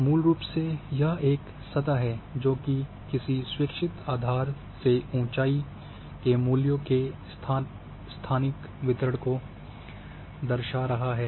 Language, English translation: Hindi, Basically this is a surface it represent spatial distribution of elevation values above some arbitrary datum in a landscape